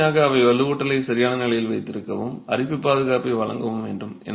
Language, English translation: Tamil, Primarily they are meant to hold the reinforcement in position and give corrosion protection